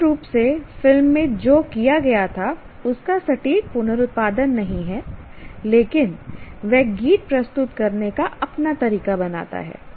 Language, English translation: Hindi, It is not exactly reproduction of what was done originally in a movie, but he creates his own way of presenting the song